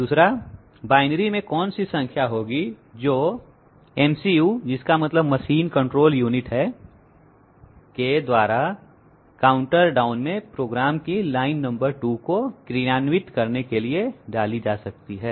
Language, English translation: Hindi, 2nd, what number in binary will the MCU that means machine control unit put into the position down counter for executing line number 2 of program above